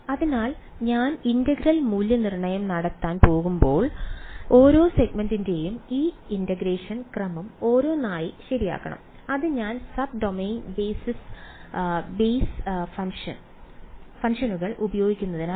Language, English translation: Malayalam, So, when I go to evaluate the integral I have to do this integration sort of each segment one by one ok, that is because I am using sub domain basis functions